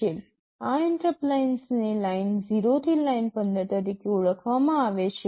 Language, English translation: Gujarati, These interrupt lines are referred to as Line0 up to Line15